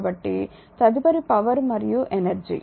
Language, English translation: Telugu, So, next is power and energy